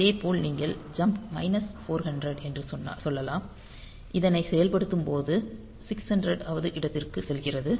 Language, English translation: Tamil, Similarly you can say jump minus 400 so, that you go back to location 600 in the execution